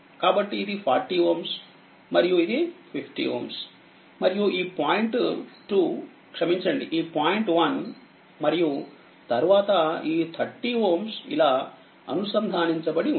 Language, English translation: Telugu, So, this is 40 ohm and this is your 50 ohm right and this point is your this point is 2 sorry this point is 1 and then your what you call this 30 ohm is connected like this